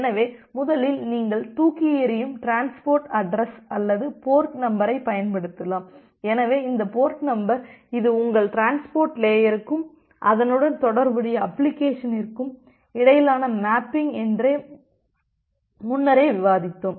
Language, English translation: Tamil, So, first of all you can use throwaway transport address or the port numbers so, we have discussed this earlier that this port number it is a mapping between your transport layer and the corresponding application